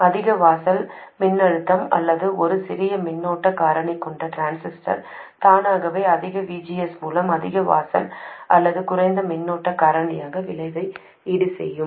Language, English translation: Tamil, A transistor with a higher threshold voltage or a smaller current factor will automatically get biased with a higher VGS compensating for the effect of the higher threshold or lower current factor